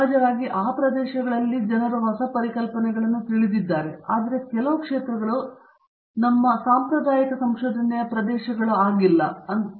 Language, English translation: Kannada, Of course, even in these areas there are you know newer concepts that people look at, but there are some areas that we would call as traditional areas of research